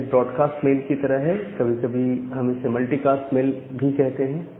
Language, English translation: Hindi, So, it is similar to like a broadcast mail or sometime we call it as a multicast mail